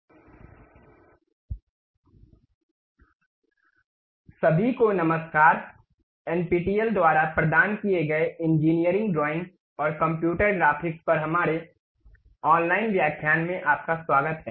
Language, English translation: Hindi, ) Hello everyone, welcome to our online lectures on Engineering Drawing and Computer Graphics provided by NPTEL